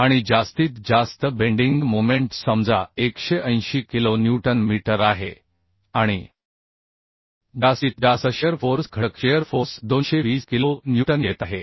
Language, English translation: Marathi, we say, suppose 180 kilo newton meter and maximum factor shear force is coming 220 kilo newton